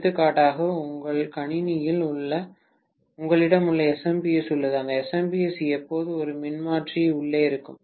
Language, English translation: Tamil, For example, in your PC you have that SMPS, that SMPS will always have a transformer inside